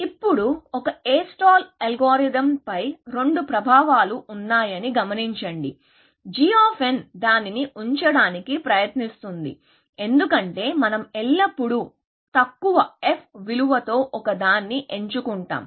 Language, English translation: Telugu, Now, notice that there are two influences on A star algorithm; g of n is trying to keep it, because we always going to pick one with a lowest f value